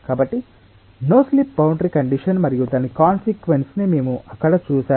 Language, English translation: Telugu, so we have loosely seen the no slip boundary condition and its consequence